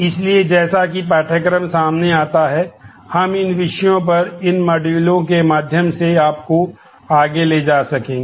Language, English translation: Hindi, So, as the course unfolds, you will be able to we will take you through these modules on these topics